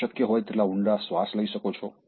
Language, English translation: Gujarati, You can take deep breath as much as possible